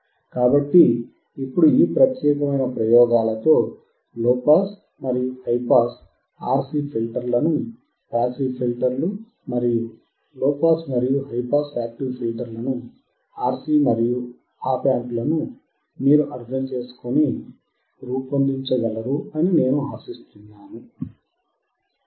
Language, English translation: Telugu, So now with this particular set of experiments, I hope that you are able to understand how you can design a low pass and high pass RC filters that is passive filters, and low pass and high pass active filters that is RC and op amp